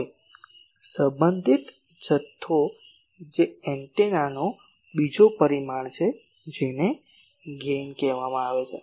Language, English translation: Gujarati, Now, a related ah quantity that is the another parameter of antenna , that is called Gain